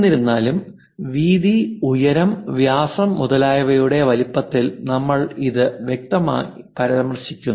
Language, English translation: Malayalam, Though we are clearly mentioning it in terms of size like width height diameter and so on